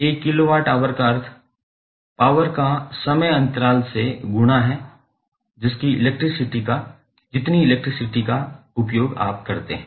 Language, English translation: Hindi, 1 kilowatt means the power multiplied by the the duration for which you consume the electricity